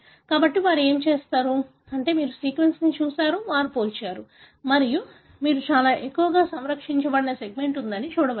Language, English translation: Telugu, So, what they have done is they have looked at the sequence, they compared and you can see there is a segment which is very highly conserved